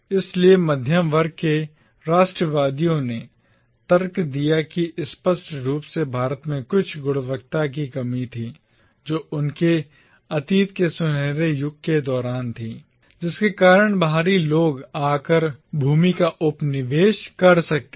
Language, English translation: Hindi, So, the middle class nationalists therefore argued that clearly India had started lacking some quality which they had possessed during the fabled golden age of the past, which was why the outsiders could come and colonise the land